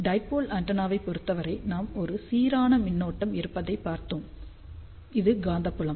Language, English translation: Tamil, So, in the case of dipole antenna, we had seen that, if we have a uniform current like this then this is the magnetic field